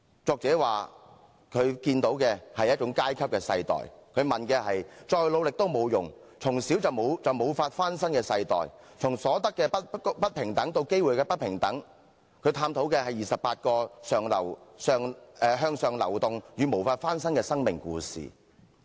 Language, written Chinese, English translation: Cantonese, 作者說他看見的是一種階級的世代，再努力都沒用，從小便無法翻身的世代，從所得的不平等到機會的不平等，作者探討的是28個向上流動與無法翻身的生命故事。, The author sees a generation marked by class differences as people cannot enjoy social mobility despite their hard work and they are doomed to meet inequality in resources and then inequality in opportunities . What the author has explored are 28 life stories in which people either move up the social ladder or chained to their own class